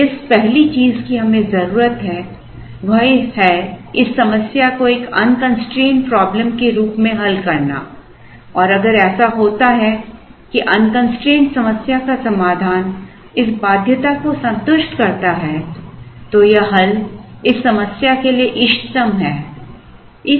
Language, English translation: Hindi, Now, the 1st thing we need do is, to solve this problem as an unconstraint problem and then try and solve it, and if it so happens that the solution to the unconstraint problem satisfies this constraint then it is optimal to the constraint problem